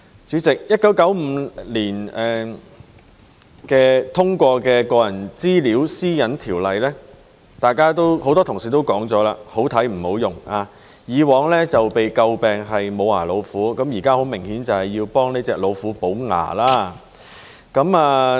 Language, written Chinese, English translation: Cantonese, 主席 ，1995 年通過的《個人資料條例》，很多同事也說是"好睇唔好用"，以往被詬病是"無牙老虎"，現在很明顯是要替這隻老虎補牙。, President the Personal Data Privacy Ordinance was enacted in 1995 . Many colleagues have criticized that the ordinance which is like a toothless tiger is good to look at but not good to use . And now we obviously have to equip this tiger with teeth